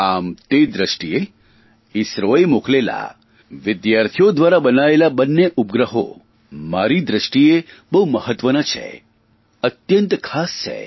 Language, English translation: Gujarati, Keeping this in mind, in my opinion, these two satellites made by the students and launched by ISRO, are extremely important and most valuable